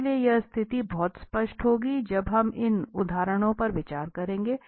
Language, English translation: Hindi, So, this situation will be much more clear when we consider these examples